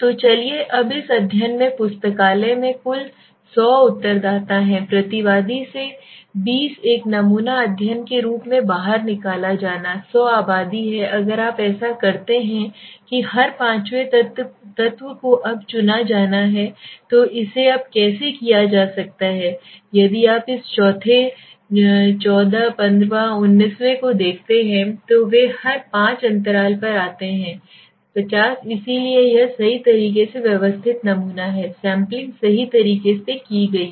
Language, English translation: Hindi, So let us take this case now 100 total number of respondents are there in the library the study wants to be twenty out of respondent should be pulled out as a sample study this population is 100 right so if you do that every fifth element has to be selected now how it can be done now let us see if you go to this so fourth ninth fourteen fifteenth nineteenth 24 29 every five gap so they sleeted 50 so this is the way the systematic sampling is done right